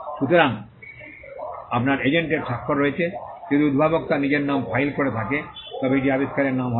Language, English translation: Bengali, So, you have the signature of the agent if the inventor is filing on in his own name, then it will be the inventors name